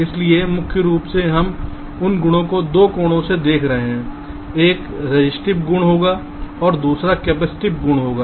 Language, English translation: Hindi, so mainly we shall be looking at those properties from two angles: one would be the resistive properties and the second would be the capacitive properties